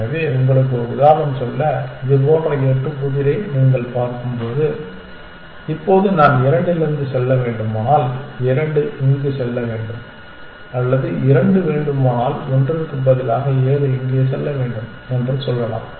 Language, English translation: Tamil, So, to give you an example when you look at the eight puzzle like this, now if I have to go from two to if I if two has to go here or if two has to let us say seven has to go here in place of one